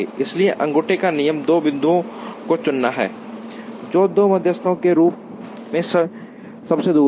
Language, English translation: Hindi, So, thumb rule is to choose two points, which are farthest away as two medians